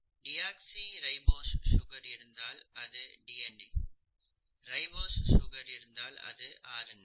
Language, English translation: Tamil, If you have a deoxyribose sugar you have DNA, if you have a ribose sugar you have RNA